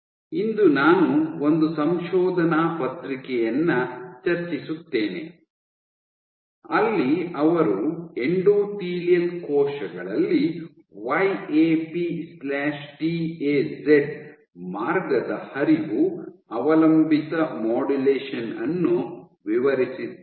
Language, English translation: Kannada, Today I will discuss one paper where they have described the Flow dependent modulation of YAP/TAZ pathway in endothelial cells